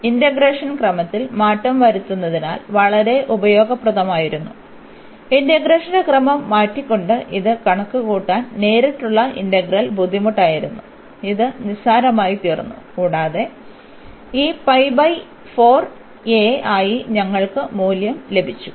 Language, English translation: Malayalam, So, this change of order was very useful if you would have not change the order of integration, the direct integral was difficult to compute purchase by changing the order of integration it has become trivial and we got the value as this pi by 4 a